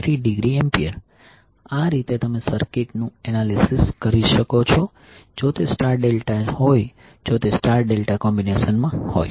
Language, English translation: Gujarati, So in this way you can analyze the circuit if it is star delta if it is in the star delta combination